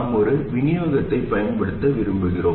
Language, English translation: Tamil, We want to use a single supply